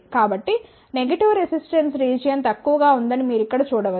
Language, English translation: Telugu, So, here you can see that the negative resistance region is less